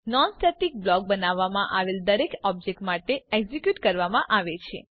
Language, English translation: Gujarati, A non static block is executedfor each object that is created